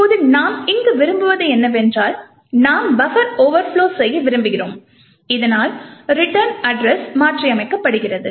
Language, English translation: Tamil, Now what we do want over here is that we want to overflow the buffer in such a way so that the return address is modified